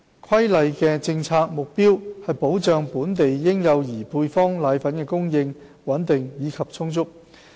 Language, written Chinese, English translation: Cantonese, 《規例》的政策目標是保障本地嬰幼兒配方粉的供應穩定及充足。, The policy objective of the Regulation is to safeguard stable and adequate supply of powdered formulae to local infants